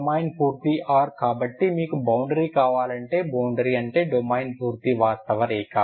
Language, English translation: Telugu, Domain is full r so you want if you want a boundary, boundary means the domain is full real line